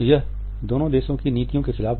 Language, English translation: Hindi, It went against the policies of both countries